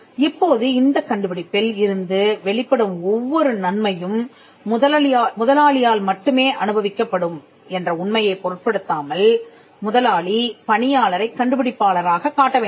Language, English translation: Tamil, Now, regardless of the gains that an employer will make out of this invention, and the fact that every benefit that flows out of the invention will solely be enjoyed by the employer, the employer will still have to show the employee as the inventor